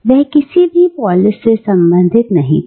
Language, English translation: Hindi, He did not belong to any polis